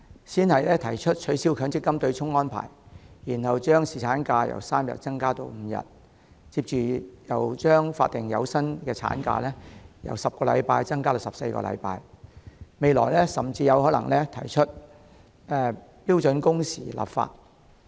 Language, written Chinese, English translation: Cantonese, 政府先是提出取消強制性公積金的對沖安排，然後把侍產假由3天增加至5天，接着又把法定有薪產假由10周增加至14周，未來甚至有可能提出就標準工時立法。, Then it sought to increase the duration of paternity leave from 3 days to 5 days . Soon afterward it proposed to extend the paid statutory maternity leave from 10 weeks to 14 weeks . It may propose legislating for standard working hours in future